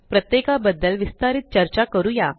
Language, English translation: Marathi, We will discuss each one of them in detail